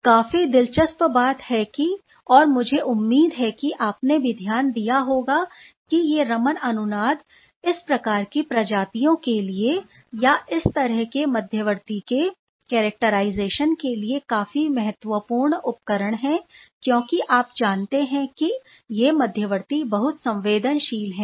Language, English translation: Hindi, Quite interestingly, I hope you also noted that these resonance Raman is quite exciting tool for these sort of species or this sort of intermediate characterization because you must be understanding that these intermediates are very very sensitive